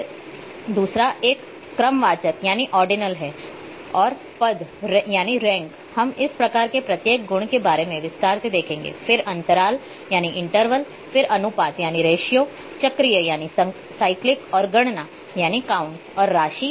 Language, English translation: Hindi, Then the another one is the ordinal and ranks we will see in detail about each of such type of attributes then interval then ratio cyclic and counts and amounts